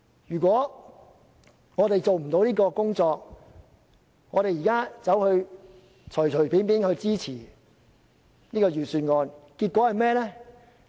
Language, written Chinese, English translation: Cantonese, 如果我們做不到這項工作，而隨便支持預算案，結果會是甚麼？, If we cannot achieve that but casually support the Budget what will be the result?